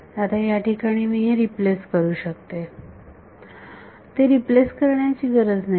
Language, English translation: Marathi, So, now, over here I can replace, need not replace it